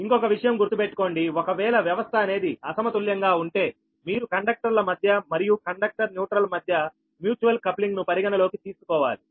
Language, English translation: Telugu, and another thing is that: but if system is unbalanced, then you have to consider that the mutual coupling between the conductors, as well as between the conductor and the, your neutral right